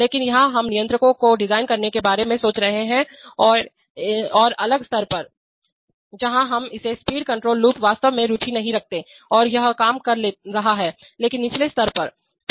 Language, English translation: Hindi, But here we are thinking of designing the controls are at a different level, where we are not interested in, that speed control loop is actually in place and it is working but at a lower level